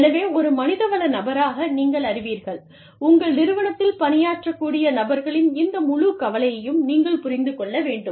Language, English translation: Tamil, So, you know, as a human resource person, you need to understand, this whole mix of people, who could be employed, in your organization